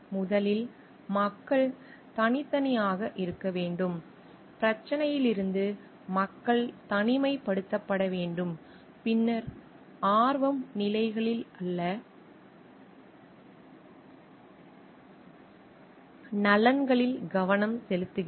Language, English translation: Tamil, First is people separate, the people from the problem, then interest focus on the interests not positions